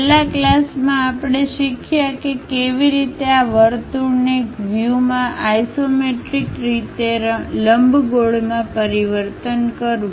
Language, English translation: Gujarati, In the last class, we have learnt how to really transform this circle in one view into ellipse in the isometric way